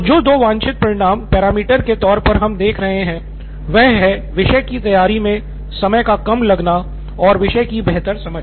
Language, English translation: Hindi, So the two desired results are the parameters we are looking at is less time to prepare and better understanding of the topic